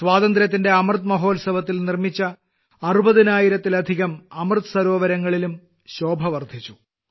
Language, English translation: Malayalam, More than 60 thousand Amrit Sarovars built during the 'Azaadi ka Amrit Mahotsav' are increasingly radiating their glow